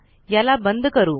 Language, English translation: Marathi, Lets close this